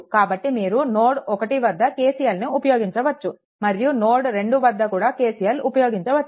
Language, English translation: Telugu, So, here you have to apply KCL, and here at node 2 you have to apply KCL